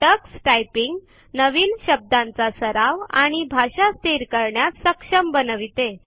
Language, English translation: Marathi, Tuxtyping also enables you to enter new words for practice and set the language for typing